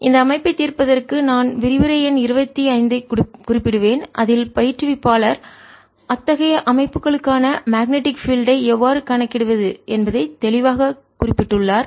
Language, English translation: Tamil, so that for solving this system, ah, i will refer to lecture number twenty five, in which ah instructor has clearly stated how to calculate the magnetic field for such systems